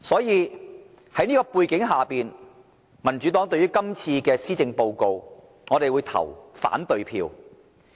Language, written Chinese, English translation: Cantonese, 因此，在這種背景下，民主黨對今次的致謝動議會投反對票。, It is under such a background that the Democratic Party is going to vote against this Motion of Thanks